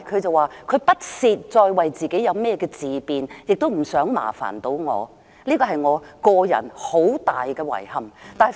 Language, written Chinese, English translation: Cantonese, 她說不屑再為自己自辯，亦不想麻煩我，這是我個人很大的遺憾。, When I asked her why she replied that she felt it was no longer worth the effort to speak for herself and she did not want to bother me